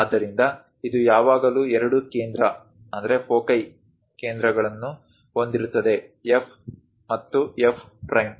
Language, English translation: Kannada, So, it has always two foci centres; F and F prime